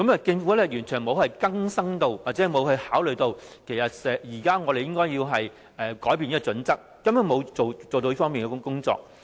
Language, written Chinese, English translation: Cantonese, 政府完全沒有更新這項準則，亦沒有考慮其實我們現時應該要改變這項準則，它根本沒有做這方面的工作。, The Government has not updated these standards at all . Neither has it considered that we should actually revise these standards now . It has not done any work in this aspect at all